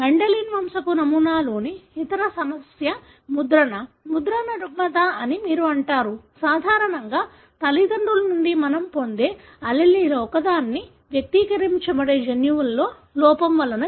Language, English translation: Telugu, The other complication in Mendelian pedigree pattern is imprinting, imprinting disorder is what you call; caused by a defect in genes that are normally expressed from one of the two alleles that we receive from parents